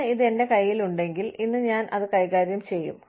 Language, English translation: Malayalam, If i have this in hand, today, i will deal with it, today